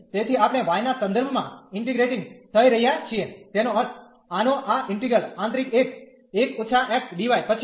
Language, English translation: Gujarati, So, we are integrating with respect to y that means, after this integral of this 1 minus x dy the inner one